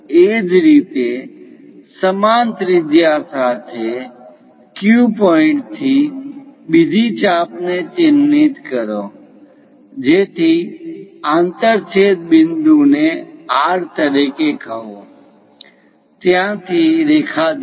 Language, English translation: Gujarati, Similarly, from Q point with the same radius; mark another arc so that the intersection point call it as R, from there join the line